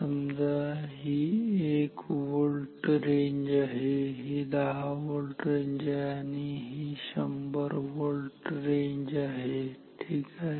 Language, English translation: Marathi, Say, we want the ranges to the say this is one this 1 volt range, this is 10 volt range and this is 100 volt range ok